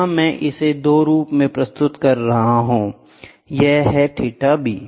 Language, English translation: Hindi, This is I am representing in the 2 form so, that this is theta b, this is theta b, ok